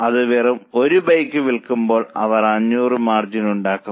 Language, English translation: Malayalam, So if they just make one bike, they will only earn 500